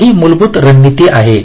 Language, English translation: Marathi, right, so this is the basic strategy